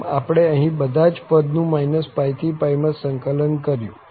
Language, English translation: Gujarati, So, we have integrated all other terms here from minus pi to pi